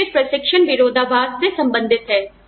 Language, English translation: Hindi, This again relates back, to the training paradox